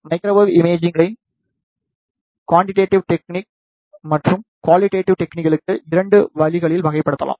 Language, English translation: Tamil, The microwave imaging can be classified into 2 ways to quantitative techniques and the qualitative techniques